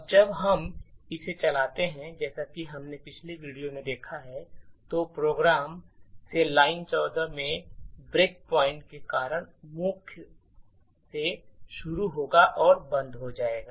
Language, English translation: Hindi, Now when we run it as we have seen in the previous video the program will execute starting from main and stop due to the break point in line number 14